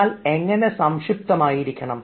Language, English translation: Malayalam, but how to be brief